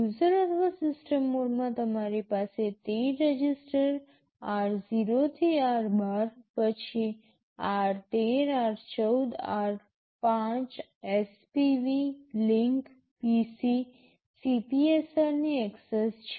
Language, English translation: Gujarati, In the in the user or the system mode, you have access to the 13 registers r0 to r12, then r13, r14, r5, spv, link, PC, CPSR